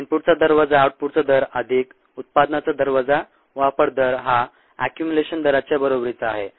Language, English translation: Marathi, two are equation: rate of input minus rate of output, plus rate of generation, minus rate of consumption equals the rate of accumulation